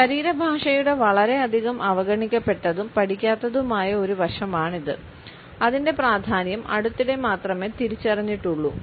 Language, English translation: Malayalam, It is a much neglected and less studied aspect of body language and its significance is being felt only recently